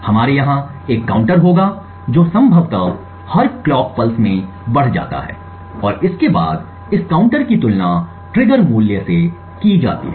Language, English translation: Hindi, We would have a counter over here which possibly gets incremented at every clock pulse and furthermore this counter is compared with the triggered value